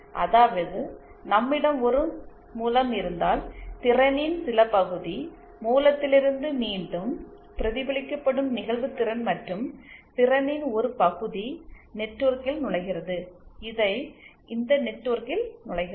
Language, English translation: Tamil, if we have a source then some part of the power, incident power from the source will be reflected back and some part of the power will enter the network, this network